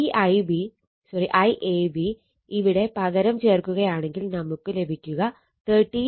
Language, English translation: Malayalam, This I AB you substitute here you substitute here, you will get this one 13